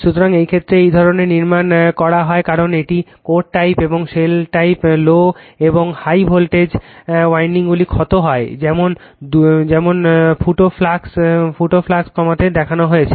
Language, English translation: Bengali, So, in this case this kind of construction is made because it is core type and shell type the low and high voltage windings are wound as shown in reduce the leakage flux, right